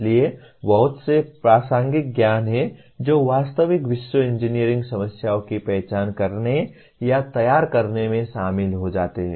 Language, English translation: Hindi, So there is a lot of contextual knowledge that gets incorporated into when you identify or formulate real world engineering problems